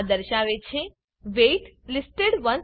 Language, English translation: Gujarati, It says that wait listed , 162